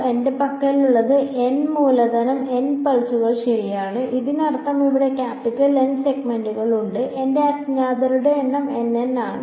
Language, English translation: Malayalam, What I have N capital N pulses right; that means, there are capital N segments over here and my number of unknowns are N N